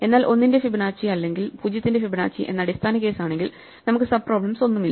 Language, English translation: Malayalam, But if we have a base case that Fibonacci of 1 or Fibonacci of 0, we do not have any sub problems, so we can solve them directly